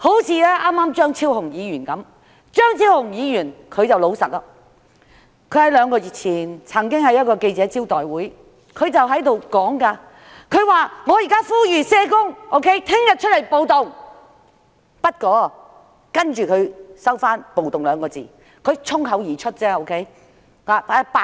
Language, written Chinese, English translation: Cantonese, 正如張超雄議員剛才般，張超雄議員十分老實，他在兩個月前，曾經在記者招待會上，呼籲社工明天出來暴動，其後他收回"暴動"二字，表示只是衝口而出，他想說的是罷工。, Dr Fernando CHEUNG is very honest . Two months ago at a press conference he urged social workers to join in the riot the next day . He later retracted the word riot explaining that it was only a spur - of - the - moment remark and he had meant to say strike